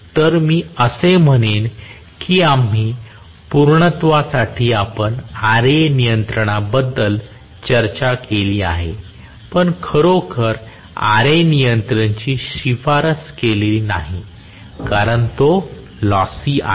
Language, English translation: Marathi, So, I would say that although we for sake of completeness we discussed Ra control Ra control is really not a very recommended one because it is lossy